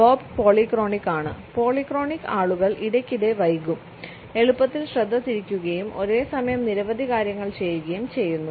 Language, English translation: Malayalam, Bob is what we call polyphonic, polyphonic people are frequently late and are easily distracted and do many things at once